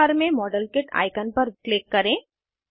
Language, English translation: Hindi, Click on the modelkit icon in the tool bar